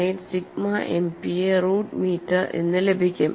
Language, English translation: Malayalam, 1678 sigma MPa root meter